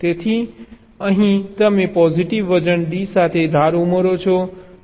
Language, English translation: Gujarati, so here you add an edge with a positive weight, d